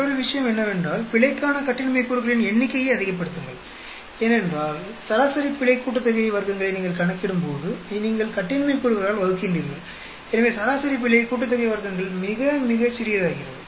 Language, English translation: Tamil, And another thing is, higher the number of degrees of freedom for error because when you calculate the mean sum of squares of error, you are dividing by the degrees of freedom; so the means sum of squares of error becomes very very small